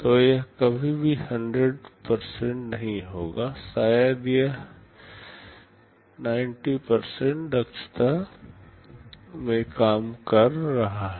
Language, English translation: Hindi, So, it will never be 100%, maybe it is working in 90% efficiency